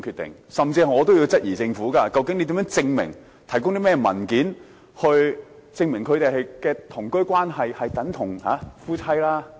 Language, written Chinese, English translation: Cantonese, 我甚至也質疑政府，究竟要提供甚麼文件或如何證明兩人的同居關係等同夫妻？, I even question the Government What document has to be produced or how the cohabitation relationship of two people can be proved to be the same as a couple?